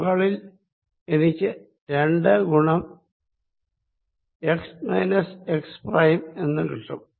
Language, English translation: Malayalam, and on top i will get two times x minus x prime